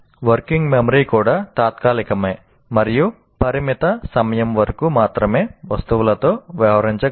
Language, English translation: Telugu, And even working memory is temporary and can deal with items only for a limited time